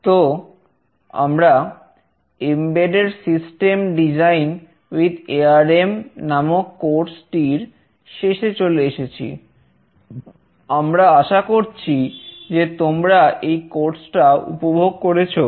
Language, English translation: Bengali, So, we have come to the end of this course on Embedded System Design with ARM